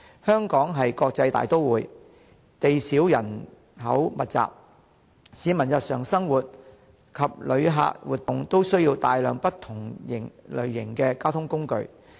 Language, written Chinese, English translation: Cantonese, 香港是國際大都會，地少人口密集，市民日常生活及旅客活動都需要大量不同類型的交通工具。, Hong Kong is an international metropolis with limited land and is densely populated . Both locals and tourists need many various kinds of transport to lead their daily life and engage in activities